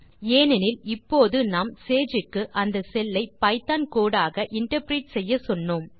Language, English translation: Tamil, Because now we instructed Sage to interpret that cell as Python code